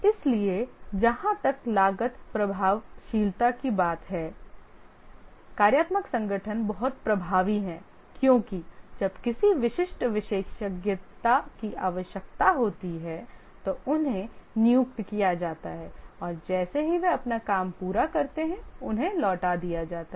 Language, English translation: Hindi, So as far as the cost effectiveness is concerned, functional organization is very cost effective because when a specific expertise is required, it is procured and returned as soon as they complete their work